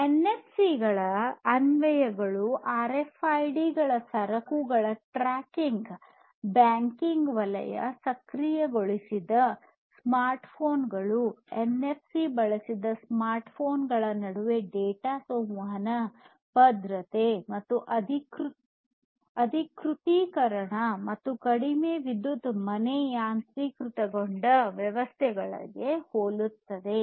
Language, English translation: Kannada, Applications of NFCs very similar to RFIDs tracking of goods, banking sector, you know NFC enabled smartphones, and data communication between smartphones using NFC, security and authentication, low power home automation systems and so on